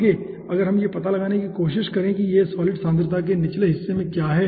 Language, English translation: Hindi, next, if we try to find out that, what is there at the at the bottom side of this solid concentration